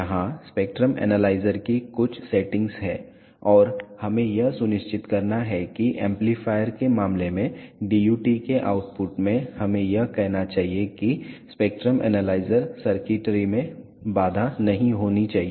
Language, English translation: Hindi, Here are some settings of the spectrum analyzer and we have to make sure that the output of the DUT let us say in case of amplifier should not hamper the spectrum analyzer circuitry